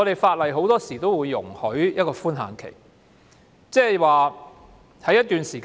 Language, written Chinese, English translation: Cantonese, 法例很多時候都會給予一個寬限期，即是在一段時間內......, It is common for laws to provide a grace period that is within a certain period of time